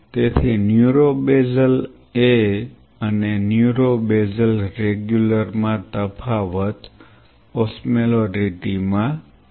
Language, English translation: Gujarati, So, neuro basal A and neuro basal regular, the difference is in osmolarity